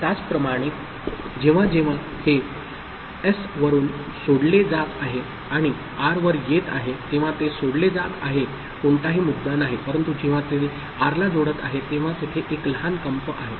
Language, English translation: Marathi, Similarly when it is coming to when it is getting disengaged from S and coming to R right, it is getting disengaged no issue, but when it is connecting to R there is a small vibration